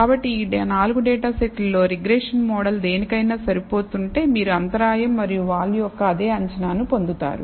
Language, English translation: Telugu, So, the regression model if you are fit to any of these data 4 data sets you will get the same estimate of the intercept and slope